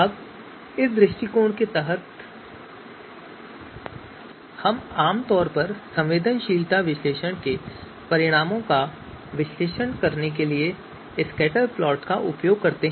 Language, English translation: Hindi, Now through under this approach, we typically you know use scatterplots to actually analyze the results of sensitivity analysis